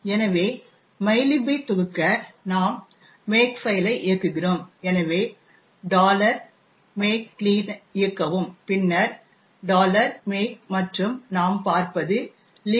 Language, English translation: Tamil, So, in order to compile the mylib we run the makefile, so we run make clean and then make and what we see is that we are able to create library libmylib